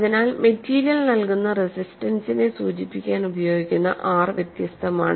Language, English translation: Malayalam, So, R is different to denote the resistance provided by the material